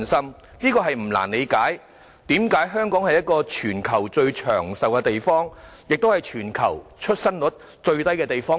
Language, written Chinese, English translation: Cantonese, 所以，大家不難理解為何香港是全球最長壽的地方，亦是全球其中一個出生率最低的地方。, Hence we will not find it difficult to understand why Hong Kong is the place with the longest life expectancy and among those with the lowest fertility rate in the world